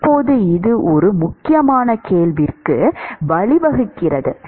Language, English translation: Tamil, Now this leads to an important question actually